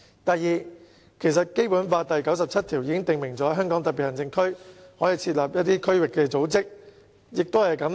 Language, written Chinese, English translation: Cantonese, 第二，其實《基本法》第九十七條已訂明香港特別行政區可設立區域組織。, Secondly it is actually stipulated in Article 97 of the Basic Law that district organizations may be established in the SAR